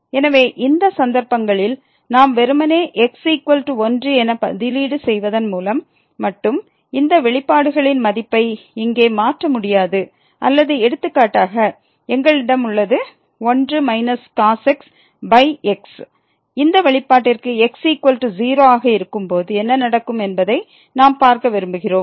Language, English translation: Tamil, So, in these cases we cannot just simply substitute is equal to and get the value of these expressions given here or for example, we have minus over and we want to see that what will happen to this expression when is equal to